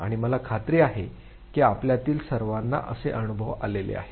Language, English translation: Marathi, And I am sure all of you have several of these experiences with you